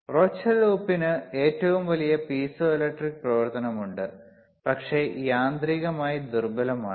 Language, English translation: Malayalam, So, Rochelle salt has the greatest piezoelectric activity, but is mechanically weakest